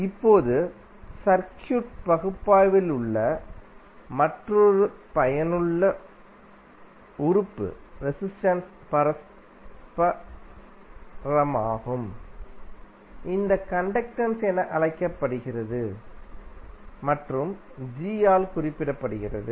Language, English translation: Tamil, Now, another useful element in the circuit analysis is reciprocal of the resistance which is known as conductance and represented by capital G